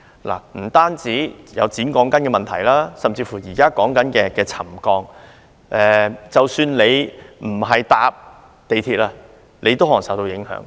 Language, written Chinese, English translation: Cantonese, 不單有剪短鋼筋的問題，還有現時討論的沉降問題，即使不乘搭港鐵，也可能受到影響。, Not only are there problems involving steel reinforcement bars having been cut short there is also the problem of settlement now under discussion . Even if one does not take the Mass Transit Railway MTR one may still be affected